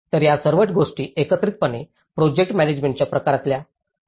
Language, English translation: Marathi, So, all these things collectively put into the kind of management of the project